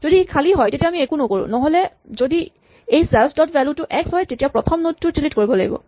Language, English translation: Assamese, If it is empty we do nothing; otherwise if this self dot value is x the first node is to be deleted